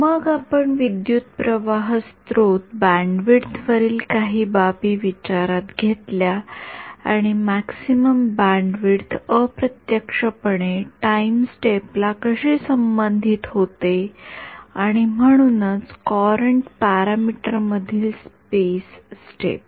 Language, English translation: Marathi, Then we looked at some considerations on the current source bandwidth and how that the maximum bandwidth gets indirectly related to the time step and therefore, the space step from the courant parameter ok